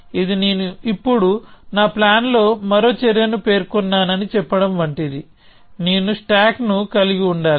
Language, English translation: Telugu, So, this is like saying that I have specified now one more action in my plan that I must have the stack a